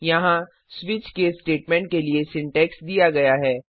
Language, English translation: Hindi, Here is the syntax for a switch case statement